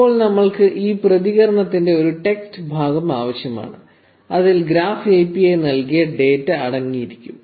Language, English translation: Malayalam, Now we need a text part of this response, which will contain the data returned by the Graph API